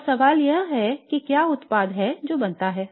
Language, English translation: Hindi, Okay and the question is what is a product that is formed